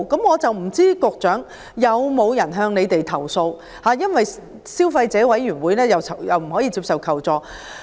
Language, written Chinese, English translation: Cantonese, 我不知道曾否有人向局長投訴，因為消委會不能接受這類求助個案。, I wonder if anyone has lodged a complaint to the Secretary as CC cannot handle such kind of requests for assistance